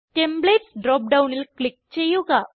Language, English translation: Malayalam, Now, click on Templates drop down